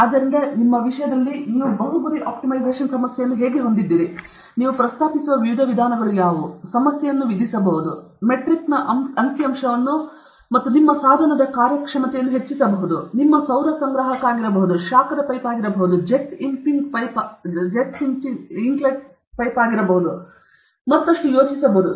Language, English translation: Kannada, So, in your this thing also, you have a multi objective optimization problem how are, what is the, what are the different ways in which you propose, in which you can impose the problem or you want you want a figure of metric for the performance of your device; it could be your solar collector, it could be a heat pipe or it could be a jet impinging jet whatever, can we think of some other this